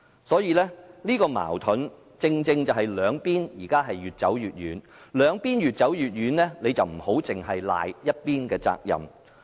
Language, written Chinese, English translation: Cantonese, 這個矛盾正正令到兩方面現時越走越遠，但我們不應埋怨這只是某一方的責任。, This contradiction is exactly driving the two parties further apart but we should not put all the blame on any party